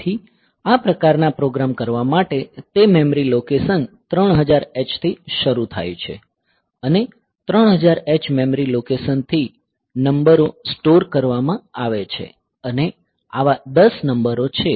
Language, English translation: Gujarati, So, for doing this type of programs; so, so it is starting at memory location 3000 h from memory location 3000 h, the number are stored and there are 10 such numbers